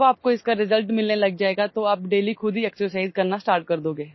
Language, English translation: Hindi, When you start getting results, you will start exercising yourself daily